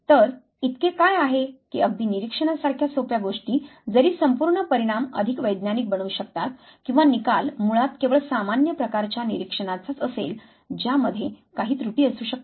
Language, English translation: Marathi, So, what is it that in even in something as simple as observation can make the whole outcome more scientific or the outcome would basically be only commonsensical type of observation which might have certain errors